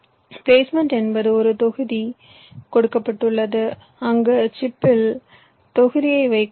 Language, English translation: Tamil, placement means given a block where in the chip i have to place the block